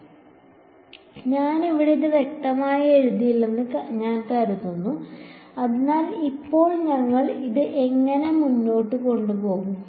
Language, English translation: Malayalam, So, I think I will not clearly write it over here ok, so, now how do we actually proceed with this